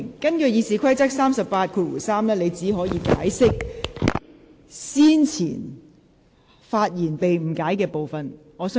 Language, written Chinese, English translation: Cantonese, 根據《議事規則》第383條，你只可以發言解釋先前發言中被誤解的部分。, According to RoP 383 you may only explain the part of your previous speech which has been misunderstood but shall not introduce new matter